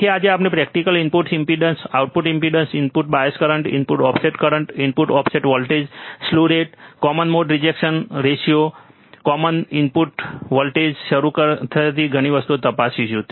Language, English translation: Gujarati, So, today we will check several things in the in the experiment starting with the input impedance, output impedance, input bias current, input offset current, input offset voltage, slew rate, common mode rejection ratio, common mode input voltage so, several things are there right